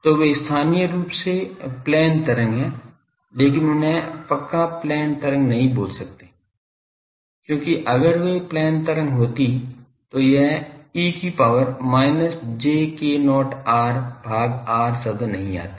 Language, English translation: Hindi, So, they are locally plane wave, but they are not strictly speaking plane wave, because if they are plane wave this e to the power minus j k not r by r term would not come